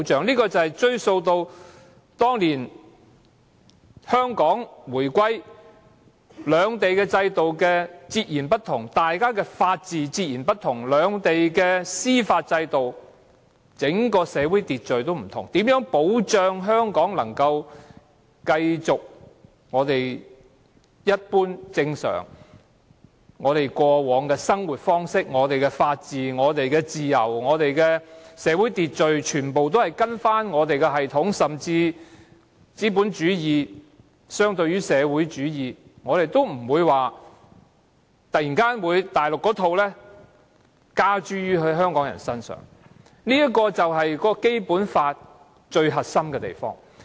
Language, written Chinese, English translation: Cantonese, 這要追溯至當年香港回歸時，因為兩地的制度截然不同，兩地的法治、司法制度和整個社會秩序也不同，如何保障香港可繼續我們一般正常、過往的生活方式，無論是法治、自由或社會秩序，全部也依循我們的系統？甚至是資本主義相對於社會主義，我們也不會將內地的一套加諸香港人身上，這便是《基本法》最核心之處。, This can be traced back to the reunification of Hong Kong . As the systems of the two places were completely different and given the difference between the two places in terms of the rule of law the judicial system and even the order of society as a whole how could protection be accorded to Hong Kong so that we could continue our normal usual way of living so that our systems would be followed in all aspects whether in respect of the rule of law freedoms or social order and despite the contrast between capitalism and socialism the ideology of the Mainland would not be imposed on Hongkongers?